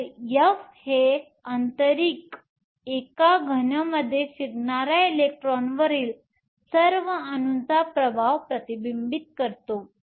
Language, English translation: Marathi, So, F internal reflects the effect of all the atoms on the electron that is moving in a solid